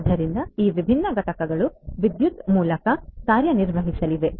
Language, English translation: Kannada, So, these different units are going to be powered through electricity